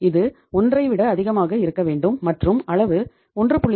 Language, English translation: Tamil, It has to be more than 1 and the level is 1